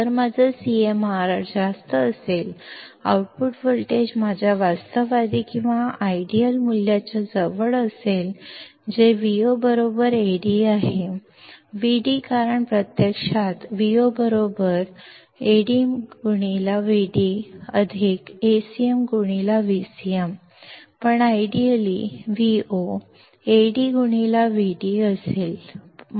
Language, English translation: Marathi, If my CMRR is high; output voltage will be close to my realistic or ideal value, which is Vo equals to Ad; Vd because in reality Vo equals to Ad into Vd plus Acm into Vcm, but ideally Vo would be Ad into Vd